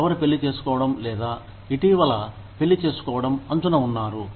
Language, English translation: Telugu, Who are on the verge of either getting married, or recently getting married